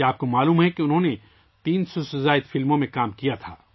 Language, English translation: Urdu, Do you know that he had acted in more than 300 films